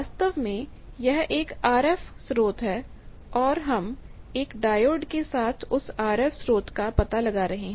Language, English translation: Hindi, It is the same thing actually there is an RF source, but we are detecting that RF source with a diode